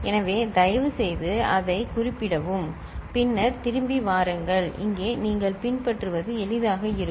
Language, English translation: Tamil, So, please refer to that and then come back, here it will be easier for you to follow